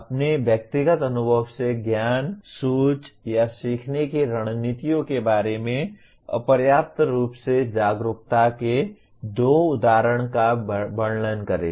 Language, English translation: Hindi, Describe two instances of inadequate metacognitive awareness that is knowledge, thinking or learning strategies from your personal experiences